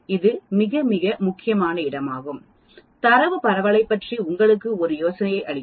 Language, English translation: Tamil, That is a very, very important point because that gives you an idea about the spread of the data